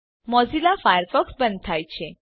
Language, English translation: Gujarati, Mozilla Firefox shuts down